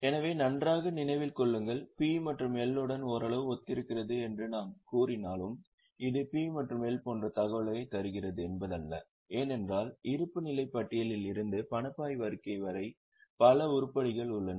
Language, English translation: Tamil, So, mind well, though I am saying it is somewhat similar to P&L, it is not that it is giving same information as in P&L because there are several items which would be coming from balance sheet to cash flow statement